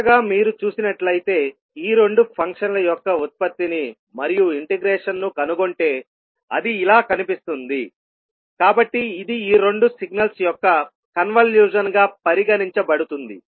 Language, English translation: Telugu, So finally if you see and if you trace the product and the integration of these two functions, so it may look like this, so this would be considered as a convolution of these two signals